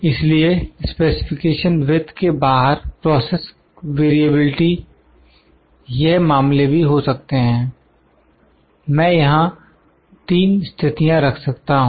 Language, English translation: Hindi, So, the process variability outside the specification width, well it can also be the cases, I can put 3 cases here